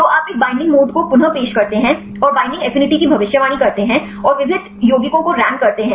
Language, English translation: Hindi, So, you get reproduce a binding mode and predict the binding affinity and rank the diverse compounds